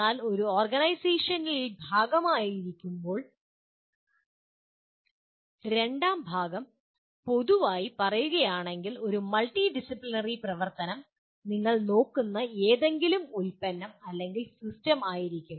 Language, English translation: Malayalam, But the second part while in an organization, generally by and large it will be a multidisciplinary activity, any product or system that you look at